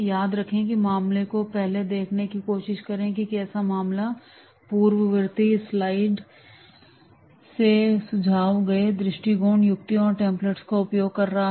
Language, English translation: Hindi, Remember to try the case on your own first, that is what is the case is using the suggested approach tips and templates from the preceding slides